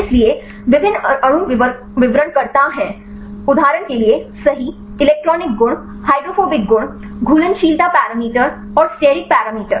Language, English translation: Hindi, So, various molecule descriptors right for example, electronic properties, hydrophobic properties, solubility parameters and steric parameters